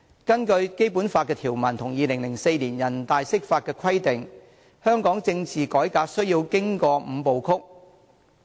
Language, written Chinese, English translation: Cantonese, 根據《基本法》條文和2004年人大釋法的規定，香港政治改革需要經過"五步曲"。, According to the provisions of the Basic Law and the Interpretation by the Standing Committee of the National Peoples Congress of the Basic Law in 2004 political reforms in Hong Kong must adhere to the Five - step Process